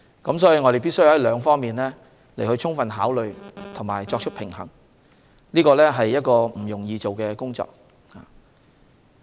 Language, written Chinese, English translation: Cantonese, 因此，我們必須就兩方面作出充分考慮及作出平衡，而這項工作並不容易。, Therefore we must fully consider and balance the two aspects which is not an easy task